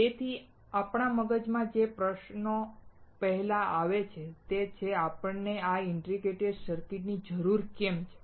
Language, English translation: Gujarati, So, the first question that comes to our mind is why we need this integrated circuit